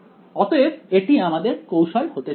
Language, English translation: Bengali, So, that is going to be our strategy